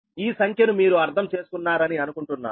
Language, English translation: Telugu, so this numerical you have understood